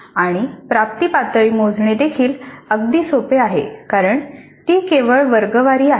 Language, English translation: Marathi, And it is very easy to compute the attainment levels also because it is only the class average